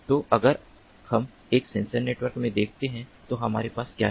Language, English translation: Hindi, so if we look at in a sensor network what we have in a sensor network, we have different units